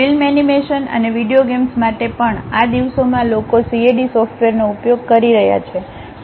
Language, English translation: Gujarati, Even for film animations and video games, these days people are using CAD software